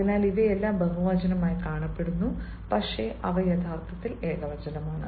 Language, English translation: Malayalam, they look like ah plural but they are actually a singular